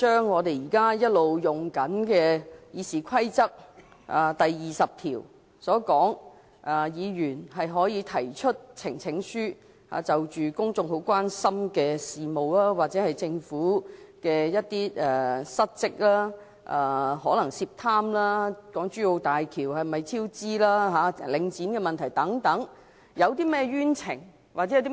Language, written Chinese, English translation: Cantonese, 我們一直沿用《議事規則》第20條，讓議員提出呈請書，就公眾關心的事務或政府的失職，可能是涉貪、港珠澳大橋超支和領展問題等，交付專責委員會處理。, All along we have adopted RoP 20 as the basis for Members to present petitions whereby issues of public concern or those involving dereliction of duty on the part of the Government such as its suspected involvement in bribery cost overrun relating to the Hong Kong - Zhuhai - Macao Bridge and also problems with the Link REIT can be referred to a select committee